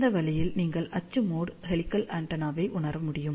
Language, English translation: Tamil, And this way, you can realize the axial mode helical antenna